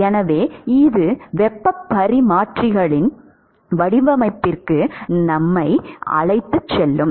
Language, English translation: Tamil, So, this is the essentially sort of taking us to the design of heat exchangers